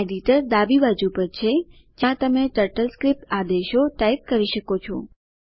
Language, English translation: Gujarati, Editor is on the left, where you can type the TurtleScript commands